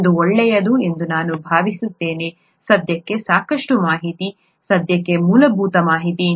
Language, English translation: Kannada, I think that is good enough information for now, fundamental information for now